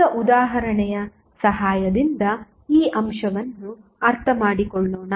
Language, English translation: Kannada, Now, let us understand this aspect with the help of an example